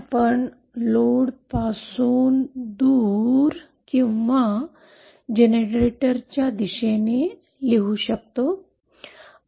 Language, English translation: Marathi, So we can write this as away from load or towards generator